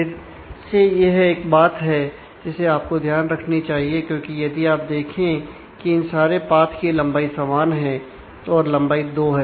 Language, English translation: Hindi, This is again something you should observe here, because if you if you see all of these paths all of them have the same length here then the length is 2